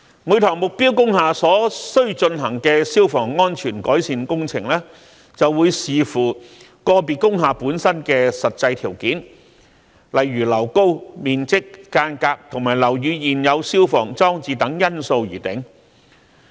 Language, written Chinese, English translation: Cantonese, 每幢目標工廈所須進行的消防安全改善工程，會視乎個別工廈本身的實際條件，例如樓高、面積、隔間及樓宇現有消防裝置等因素而定。, Requirements of fire safety improvement works for target industrial buildings may differ depending on the actual conditions of individual industrial buildings such as height area layout and the existing provision of fire service installations and equipment of the building